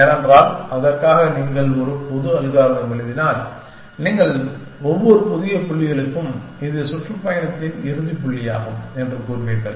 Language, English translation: Tamil, Because, notice now that if you write a general algorithm for that, you will say that for every new point in the city, which is the closes point in the tour